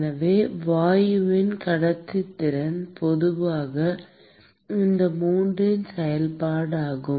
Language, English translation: Tamil, And so the conductivity of the gas is typically a function of these three